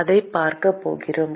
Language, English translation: Tamil, We are going to see that